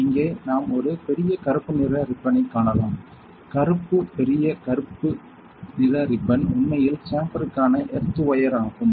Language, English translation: Tamil, So, here we can see a big black color ribbon here that the black big black color ribbon is actually the earthing wire for the chamber